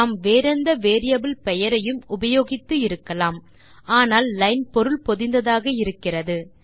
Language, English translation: Tamil, We could have used any other variable name, but line seems meaningful enough